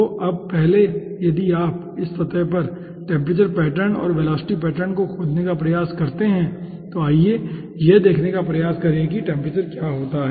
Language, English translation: Hindi, so now, first, if you try to find out the temperature pattern and ah velocity pattern over this surface, then let us try to see what happens to the temperature